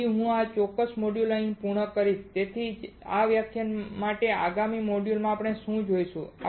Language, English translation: Gujarati, So, I will complete the module at this particular time and in the next module for the same lecture what we will see